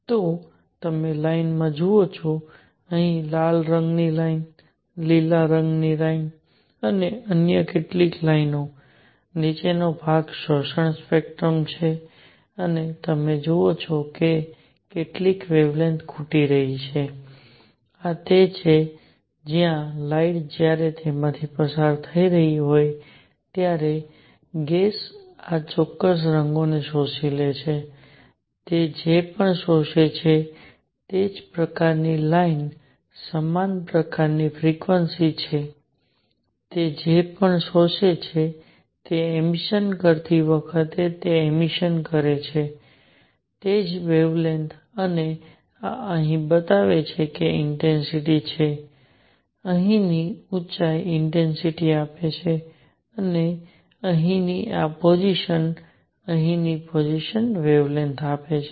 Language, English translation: Gujarati, So, you see line; a line at red here, a green line and some other lines, the lower portion is the absorption spectrum where you see that certain wavelengths are missing and this is where the gas when light is passing through it has absorbed these particular colors; whatever it absorbs, the same kind of line same kind of frequency, whatever it absorbs, same wavelength it emits when it is emitting and what this shows here is the intensity, the height here gives intensity and this position here the position here gives wavelength